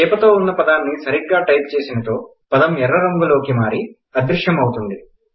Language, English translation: Telugu, If you type the words correctly, the word turns red and vanishes